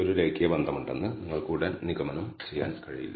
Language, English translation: Malayalam, It does not immediately you cannot conclude there is a linear relationship